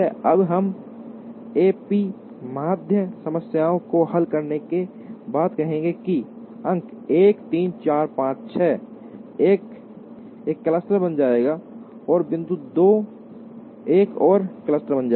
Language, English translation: Hindi, Now, we would say after solving a p median problem that, points 1 3 4 5 6 will become one cluster and point 2 will become another cluster